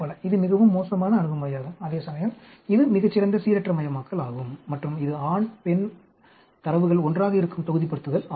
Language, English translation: Tamil, This is a very bad approach to do, whereas this a much better randomization and this is blocking of the data of male and female together